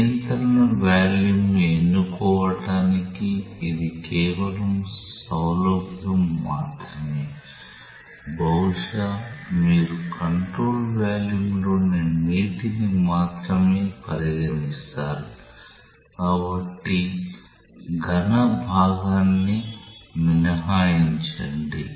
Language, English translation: Telugu, It is just a matter of convenience for choosing the control volume, maybe you consider only the water in the control volume, so exclude the solid part